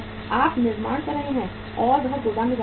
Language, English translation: Hindi, You are manufacturing and it is going to the warehouse